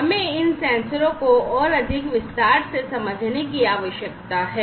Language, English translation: Hindi, So, we need to understand these sensors, in more detail